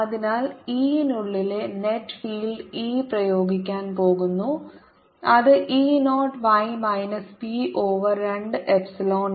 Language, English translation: Malayalam, the electric field e inside is nothing but e applied, which is e zero minus p over two epsilon zero